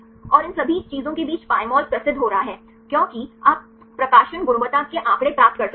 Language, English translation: Hindi, And among all these things Pymol is getting famous, because you can get the publication quality figures